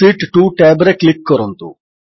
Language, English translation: Odia, Lets click on the Sheet 2 tab